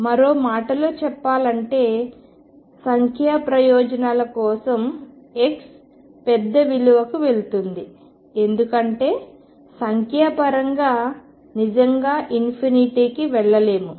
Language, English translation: Telugu, In other words for numerical purposes we can say that as x goes to a large value why because numerically I cannot really go to infinity